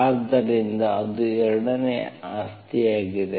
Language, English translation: Kannada, So that is what you seen the 2nd property